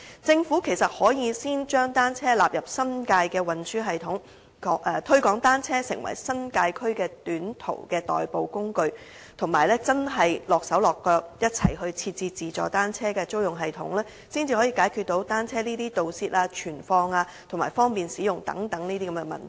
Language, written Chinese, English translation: Cantonese, 政府其實可以先將單車納入新界的運輸系統，推廣單車成為新界區的短途代步工具，以及真的身體力行地一起設置自助單車租用系統，才可以解決單車盜竊、存放和方便使用等問題。, As the first step the Government can actually include bicycles in the transport system of the New Territories and promote bicycles as an alternative mode of transport for short - haul journeys in the New Territories . Besides it must take practical actions and join hands with other parties to set up a self - service bicycle rental system . Only by so doing can it resolve such matters as bicycle theft and storage and also user - friendliness